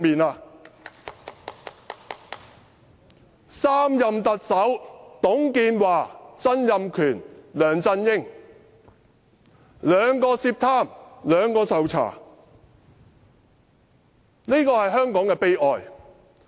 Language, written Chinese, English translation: Cantonese, 在3任特首包括董建華、曾蔭權和梁振英當中，兩人涉貪，兩人受查，這是香港的悲哀。, Of the three Chief Executives including TUNG Chee - hwa Donald TSANG and LEUNG Chun - ying two were involved in corruption and two were being investigated . This is a tragedy for Hong Kong